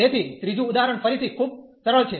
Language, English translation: Gujarati, So, the third example is again very simple